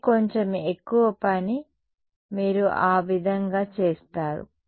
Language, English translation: Telugu, But its a little bit more work you will do that way